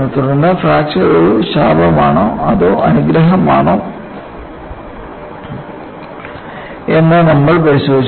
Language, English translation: Malayalam, Then, we also looked at whether fracture is a bane or a boon